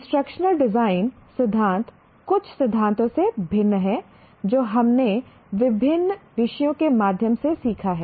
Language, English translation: Hindi, The instruction design theory is somewhat different from the theories that we learn through various subjects